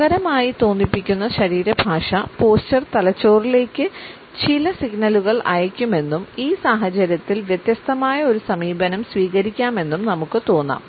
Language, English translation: Malayalam, And very soon we may feel that the relaxed body posture would also be sending certain signals to the brain and a different approach can be taken up in this situation